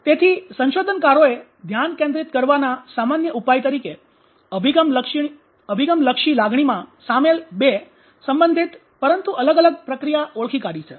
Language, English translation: Gujarati, Researchers identified two related and distinct process involved in approach oriented emotion focused coping